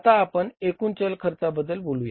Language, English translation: Marathi, This is a total variable cost